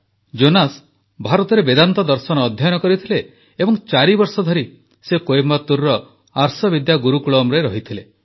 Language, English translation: Odia, Jonas studied Vedanta Philosophy in India, staying at Arsha Vidya Gurukulam in Coimbatore for four years